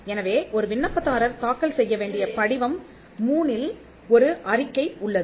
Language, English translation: Tamil, So, there is a statement of undertaking under Form 3 which an applicant has to file